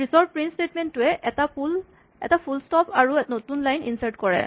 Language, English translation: Assamese, The next print statement inserts a full stop and a new line